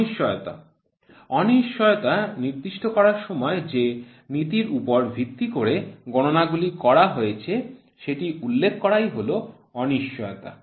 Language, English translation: Bengali, Uncertainty, when specifying the uncertainty it is necessary to indicate the principle on which the calculation has been made is uncertainty